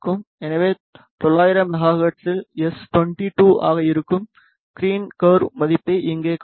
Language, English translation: Tamil, So, here you can see the value of green curve that is s 22 at 900 megahertz